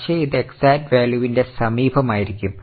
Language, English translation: Malayalam, It is not an exact value but it will be close to the correct value